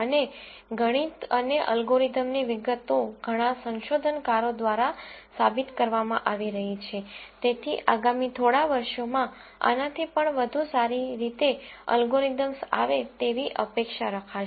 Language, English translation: Gujarati, And the math and the algorithmic details are being proved by many researchers, so one would expect even better algorithms to come down in the next few years